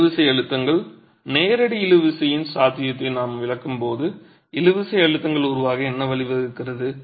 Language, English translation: Tamil, Tensile stresses when we exclude the possibility of direct tension, what leads to the formation of tensile stresses